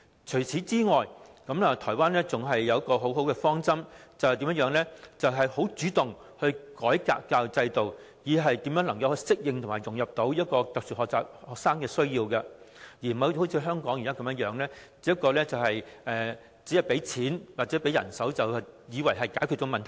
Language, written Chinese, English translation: Cantonese, 除此以外，台灣更採取了一個很好的方針，便是主動改革教育制度，令有特殊學習需要的學童可以適應及融入，而不是像香港現時般，以為只提供資源及人手便能解決問題。, In addition a most desirable policy is also adopted in Taiwan that is the education system was actively reformed so that SEN children can adapt and integrate rather than thinking that the problems can be solved just by providing resources and manpower as is the case in Hong Kong